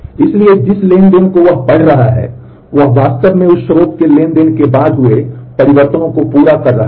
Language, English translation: Hindi, So, the transaction it is reading from it is actually committing the changes after that source transaction has committed